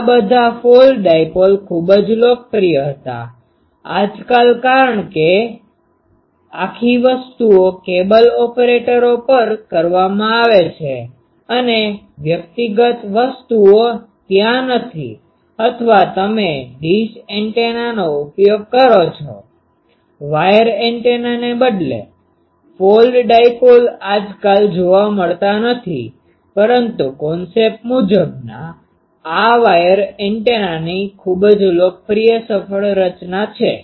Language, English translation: Gujarati, This all this folded dipole was very popular; nowadays, since the whole things is done at cable operators and individual things are not there or you use dish antenna; instead of wire antenna, folded dipole is not seen nowadays, but concept wise, this is one of the very popular successful design of wire antenna, ok